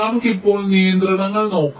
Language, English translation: Malayalam, fine, lets look at the constraints now